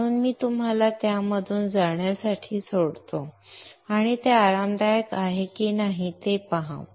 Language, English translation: Marathi, So I will leave you to go through that and use it if you feel that it is comfortable